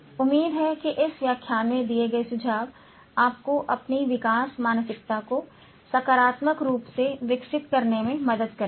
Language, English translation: Hindi, Hopefully, the tips given in this lecture will help you to positively develop your growth mindset